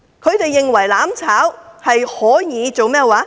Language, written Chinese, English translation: Cantonese, 他們以為"攬炒"可以達成甚麼？, What do they think burning together will achieve?